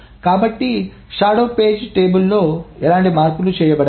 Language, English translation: Telugu, No changes are done on the shadow page table